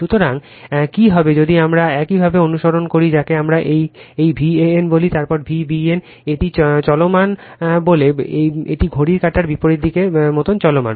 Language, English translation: Bengali, So, what will happen is if we follow the your what we call the this V a n, then V b n, it is moving it is say moving like these anti clockwise direction right